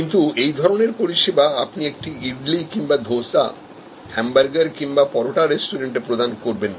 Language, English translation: Bengali, But, that sort of service is not the service which you would offer at an idly, dosa restaurant or a hamburger or parotta restaurant